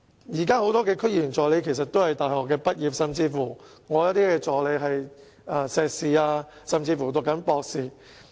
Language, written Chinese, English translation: Cantonese, 現時很多區議員助理其實也是大學畢業生，我的一些助理甚至是碩士畢業或正在攻讀博士學位。, At present many assistants to DC members are university graduates and some of my assistants are even postgraduates or doctorate students